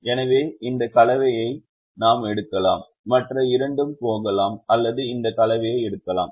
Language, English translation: Tamil, so we could either pick this combination, the other two would go, or we could pick this combination